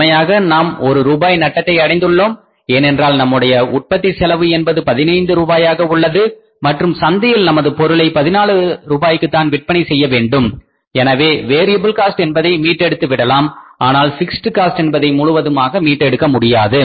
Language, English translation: Tamil, So it means actually we are at a loss of how much rupees one we are incurring a loss because our cost of production is 15 rupees and we have to sell the product at 14 rupees in the market so we are able to recover the variable cost but we are not able to recover the fixed cost fully so now we have to analyze the whole market process and the whole market situation